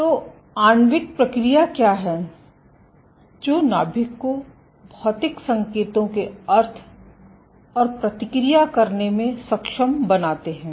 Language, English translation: Hindi, So, what are the molecular mechanisms that enable the nucleus to sense and respond to physical cues